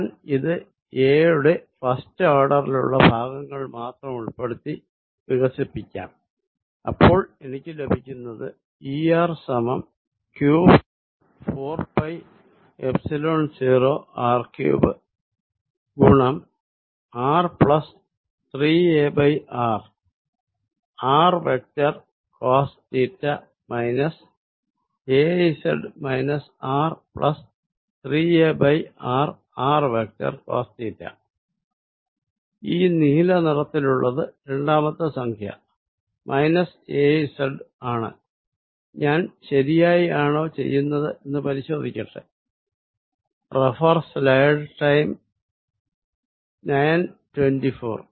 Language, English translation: Malayalam, I will again expand this keeping terms only up to first order in a and what I get is E r is equal to q over 4 pi Epsilon 0 r cubed r plus 3a over r, r vector cosine of theta minus az minus r plus 3a over r, r vector cosine of theta, this blue one is the second term minus az let me check if I am doing it correctly, yes this is indeed correct